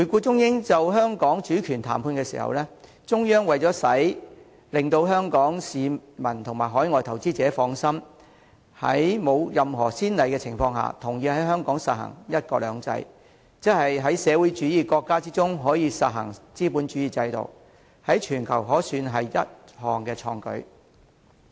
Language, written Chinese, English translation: Cantonese, 中英就香港主權談判的時候，中央為了令香港市民及海外投資者放心，在沒有任何先例的情況下，同意在香港實行"一國兩制"，即在社會主義國家之中，實行資本主義制度，可算是全球一項創舉。, During the Sino - British negotiation over Hong Kongs sovereignty in order to put the minds of Hong Kong people and overseas investors at ease the Central Government agreed to implement one country two systems in Hong Kong despite having no precedents in the world . This means that Hong Kong is to practise the capitalist system within a socialist country . It is a pioneering undertaking